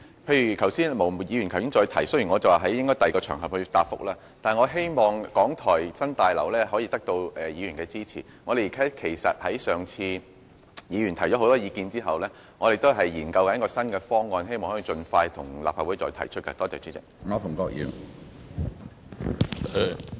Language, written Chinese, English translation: Cantonese, 毛議員剛才也提出同樣的問題，雖然我說應在其他場合解答，但我希望港台新廣播大樓能得到議員的支持，其實議員在過往已提出了不少意見，我們正在研究新方案，並希望能盡快再向立法會提出。, Although I said that the question should be answered on another occasion I hope that Members will support the proposal of the new Broadcasting House of RTHK . In fact Members have already raised a number of views on that proposal in the past . We are exploring new options on the proposal with a view to putting them forward to the Legislative Council as soon as possible